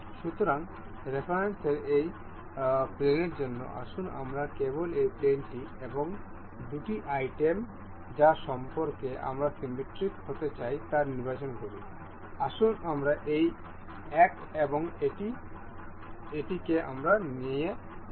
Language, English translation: Bengali, So, for this plane of reference, let us just select say this plane and the two items that we want to be symmetric about, let us say this one and this